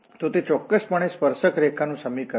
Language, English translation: Gujarati, So that is precisely the equation of the tangent line